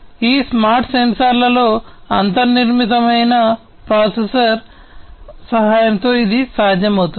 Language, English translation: Telugu, And this would be possible with the help of the processor that is inbuilt into this smart sensor